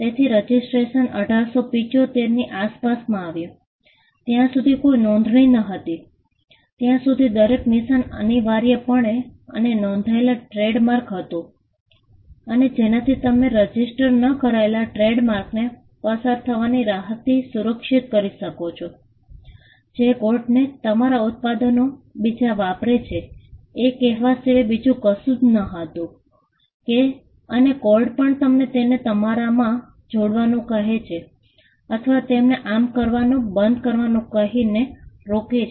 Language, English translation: Gujarati, So, registration came around 1875, till such time there was no registration every mark was essentially an unregistered trademark and the way in which you could protect an unregistered trademark was by the relief of passing off, which was nothing but approaching the court saying that somebody else is passing of their products, as your product and asking the court to inject them or to stop them from doing that